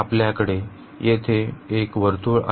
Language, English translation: Marathi, So, we have a circle here